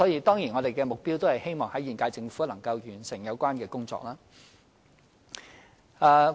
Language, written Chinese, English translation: Cantonese, 當然，我們的目標也是希望在現屆政府任期內完成有關工作。, Certainly our goal is to complete the relevant work within the term of this Government